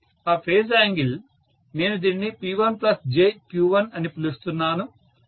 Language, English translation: Telugu, That phase angle I am calling this as P1 plus JQ1